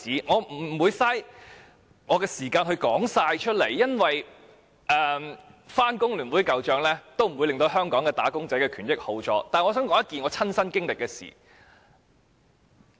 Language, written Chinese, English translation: Cantonese, 我不想浪費時間講述所有事件，因為即使翻工聯會舊帳，也不會令香港"打工仔"的權益變好，但我想講述一件我親身經歷的事情。, I do not wish to waste my time on talking about all the incidents because raking up the past deeds of FTU would not bring about any improvement to the rights and interests of wage earners in Hong Kong . However I wish to talk about an incident that I personally encountered